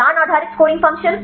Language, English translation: Hindi, Knowledge based scoring function